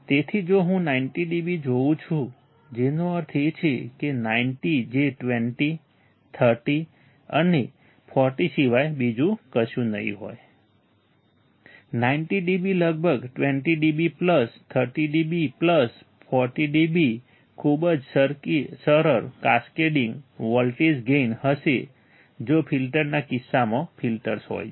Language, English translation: Gujarati, So, if I see 90 dB that means, the 90 would be nothing but 20, 30 and 40 correct, 90 db would be about 20 dB plus 30 dB plus 40 dB very easy cascading voltage gain in case of the filters in case of the filters